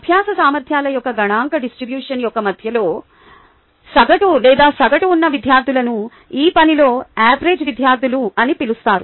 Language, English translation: Telugu, the students who are in the middle, the average or the mean of the statistical distribution of learning abilities, are termed average students in this work